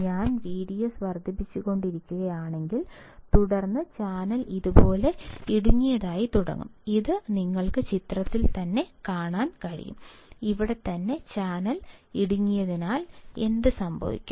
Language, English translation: Malayalam, So, if I keep on increasing V D S; then, channel will start getting narrowed like this which you can see from the figure, right over here and because the channel is getting narrow, what will happen